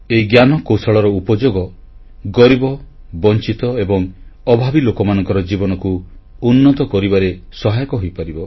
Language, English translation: Odia, This technology can be harnessed to better the lives of the underprivileged, the marginalized and the needy